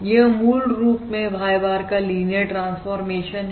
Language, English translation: Hindi, This is basically a linear transformation of Y bar